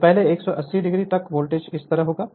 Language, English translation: Hindi, So, up to your first 180 degree the voltage will be like this